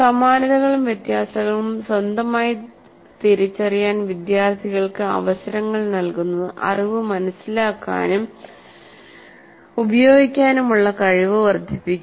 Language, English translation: Malayalam, Providing opportunities to students independently identifying similarities and differences enhances their ability to understand and use knowledge